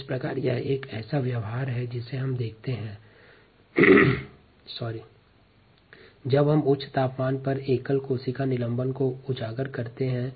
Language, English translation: Hindi, so this is the kind of behavior that we see when we expose single cell suspensions to high temperature